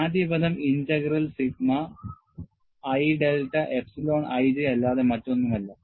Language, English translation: Malayalam, And the first term is nothing but integral sigma i j delta epsilon i j